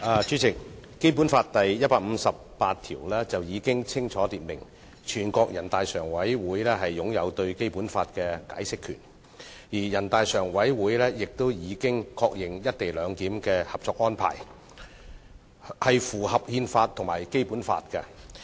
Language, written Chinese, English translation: Cantonese, 主席，《基本法》第一百五十八條已清楚訂明，全國人大常委會擁有對《基本法》的解釋權，而全國人大常委會亦已確認有關"一地兩檢"的《合作安排》符合《中華人民共和國憲法》和《基本法》。, President Article 158 of the Basic Law has clearly stipulated that NPCSC is vested with the power of interpretation of the Basic Law and NPCSC has also confirmed that the Co - operation Arrangement on the co - location arrangement is consistent with the Constitution of the Peoples Republic of China and the Basic Law